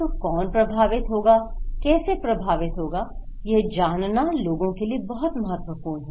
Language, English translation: Hindi, So, who will be impacted, how will be impacted is very important for people